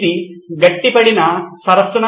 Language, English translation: Telugu, Is this a frozen lake